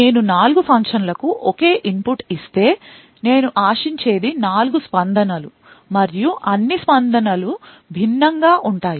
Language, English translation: Telugu, If I give the same input to all of the 4 functions, what I would expect is 4 responses and all of the responses would be different